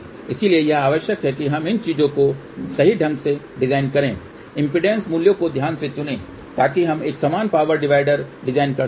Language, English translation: Hindi, So, it is required that we design these things properly choose the impedance values carefully , so that we can design a equal power divider